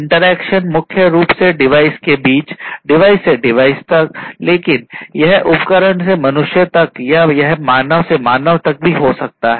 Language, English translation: Hindi, Interaction primarily between devices device to device, but it could also be device to humans or it could be even human to human right